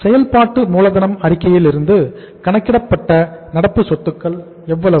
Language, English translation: Tamil, We have calculated from the working capital statement current assets are how much